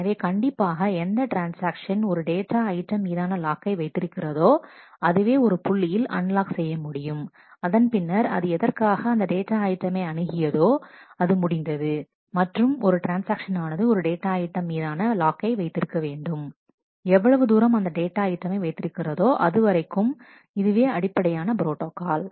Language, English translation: Tamil, And certainly a transaction who is holding a lock on a data item can unlock it at some point, after it is purpose of accessing the data item is over and, a transaction must hold a lock on the data item as long as it is accessing the item that is the basic protocol